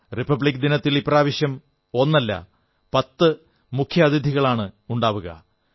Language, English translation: Malayalam, This time, not one but Ten chief guests would grace the Republic Day